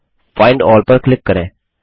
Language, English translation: Hindi, Now click on Find All